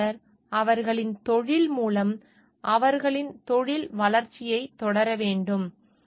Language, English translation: Tamil, Engineer shall continue their professional development through their careers